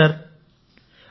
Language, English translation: Telugu, Yes… Yes Sir